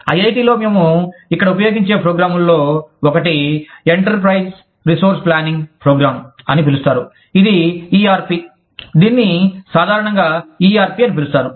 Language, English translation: Telugu, One of the programs, that i am quite familiar with, that we use here at IIT, is called the enterprise resource planning program, which is the ERP, commonly known as the ERP